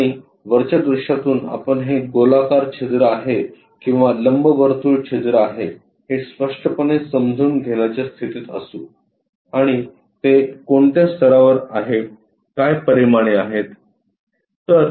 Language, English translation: Marathi, And from top view we will be in a position to sense clearly whether it is a circular hole or elliptical hole and at what level it is located these dimensions